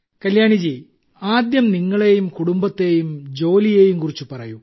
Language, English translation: Malayalam, Kalyani ji, first of all tell us about yourself, your family, your work